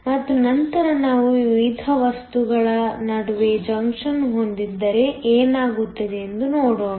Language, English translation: Kannada, And, later we will look at what happens if we have a junction between different materials